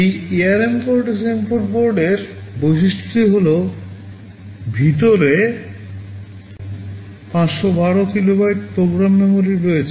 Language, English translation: Bengali, The feature of this ARM Cortex M4 board is, inside there is 512 kilobytes of program memory